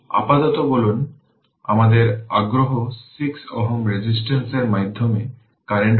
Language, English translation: Bengali, Say for the time being, our interest is current through 6 ohm resistance say your this i